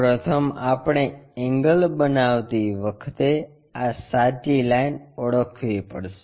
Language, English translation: Gujarati, First we have to identify this true line making an angle